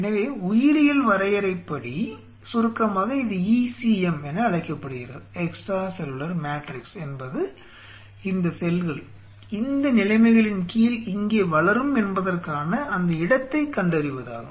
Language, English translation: Tamil, So, in short this is called and biological jargon they call it ECM extra cellular matrix is nothing, but identification of that location these cells grows here under these conditions